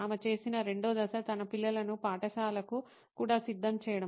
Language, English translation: Telugu, The second step that, she did was to get her kids ready for school as well